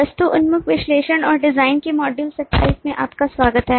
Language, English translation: Hindi, welcome to module 27 of object oriented analysis and design from module 26